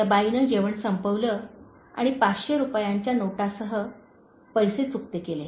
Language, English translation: Marathi, The lady had finished her meal and paid with a five hundred rupee note